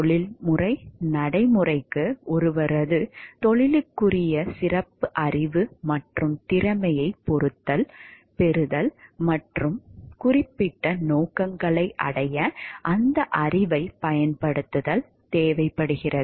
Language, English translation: Tamil, Professional practice requires acquisition of special knowledge and skill, peculiar to ones profession and application of that knowledge to achieve certain ends